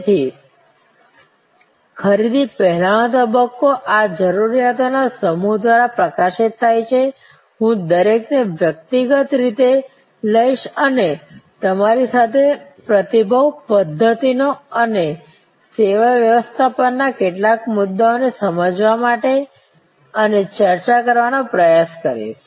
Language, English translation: Gujarati, So, the pre purchase stage is highlighted by these set of needs, I will take each one individually and try to understand and discuss with you some of the response mechanisms and service management issues